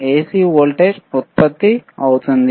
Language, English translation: Telugu, C voltage gets generated